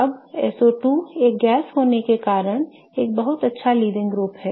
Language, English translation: Hindi, Now, SO2 being a gas is a very good leaving group